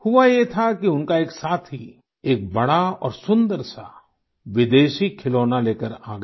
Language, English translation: Hindi, It so happened that one of his friends brought a big and beautiful foreign toy